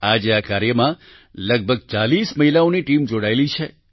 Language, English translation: Gujarati, Today a team of about forty women is involved in this work